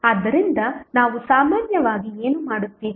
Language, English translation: Kannada, So, what we generally do